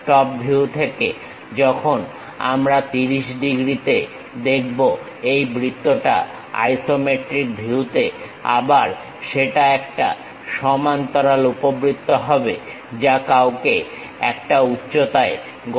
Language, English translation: Bengali, From top view this circle again in the isometric view when we are looking at 30 degrees, again that will be a parallel ellipse one has to construct at a height height is 30